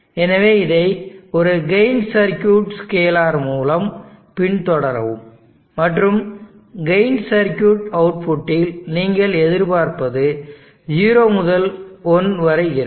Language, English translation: Tamil, So follow it up by a gain circuit scalar, scaling circuit and at the output of the gain circuit, what you expect will be something like this 0 to 1